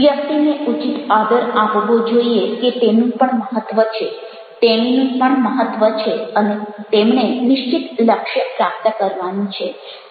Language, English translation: Gujarati, the person should be given due respect, that he also matter, she also matters, and they have ah definite goal to achieve